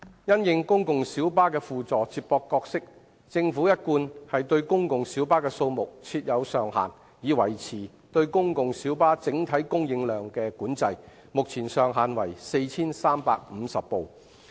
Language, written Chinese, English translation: Cantonese, 因應公共小巴的輔助接駁角色，政府一貫對公共小巴的數目設有上限，以維持對公共小巴整體供應量的管制，目前上限為 4,350 輛。, It is the Governments established policy to set a limit on the number of PLBs to maintain control on the overall supply of PLBs having regard to their supplementary feeder role . The current cap is 4 350